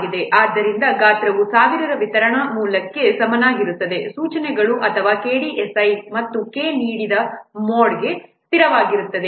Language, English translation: Kannada, So the size is equal to what 1,000 delivered source instructions or KDSI and K is a constant for the given mode